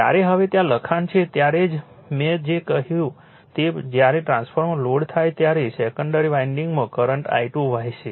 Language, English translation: Gujarati, When that now there write up is there is just when the whatever I said when the transformer is loaded a current I 2 will flow in the secondary winding